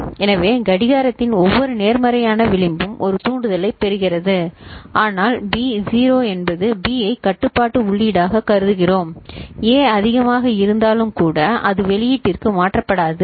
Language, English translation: Tamil, So, every positive edge of the clock it gets a trigger ok, but as long as you know B is 0, we consider B as the control input right then, even if A is high the that is not getting transferred to the output ok